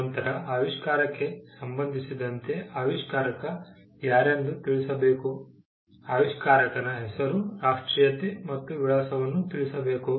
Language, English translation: Kannada, Then, there has to be a declaration, with regard to inventor ship, as to who the inventor is; the name, nationality, and address of the inventor